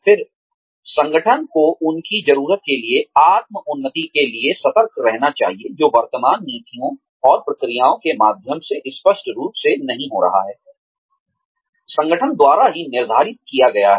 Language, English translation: Hindi, Then, the organization should be alerted, to their need, for self advancement, which is clearly not happening, through the current policies and procedures, laid down by the organization itself